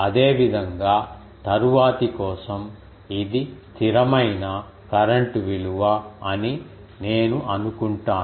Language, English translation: Telugu, Similarly, for the next one I will assume this is the constant current value